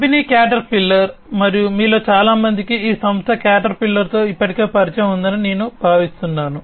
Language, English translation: Telugu, The company Caterpillar, and I think most of you are already familiar with this company Caterpillar